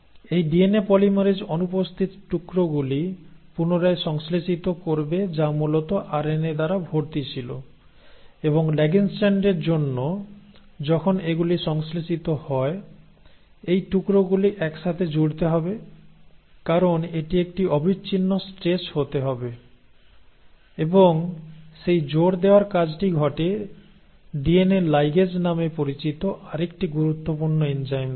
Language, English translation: Bengali, This DNA polymerase will re synthesise the missing pieces which were originally occupied by the RNA and then for the lagging strand once these have been synthesised, these pieces have to be stitched together, because it has to be a continuous stretch and that stitching happens by the one of the another crucial enzymes called as DNA ligase